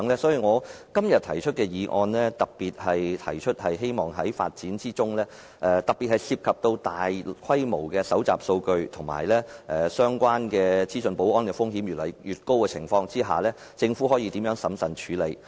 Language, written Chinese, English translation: Cantonese, 所以，我今天提出的修正案特別提出希望在發展智慧城市的過程中，在涉及大規模數據搜集和相關資訊保安的風險越來越高的情況下，政府可以如何審慎處理。, In view of this in the amendment proposed by me today I particularly wish to put forward proposals on how in the course of smart city development the Government can deal with these issues cautiously given the increasing risks associated with large - scale data collection and information security